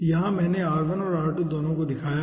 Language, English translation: Hindi, here r1 and r2, both i have shown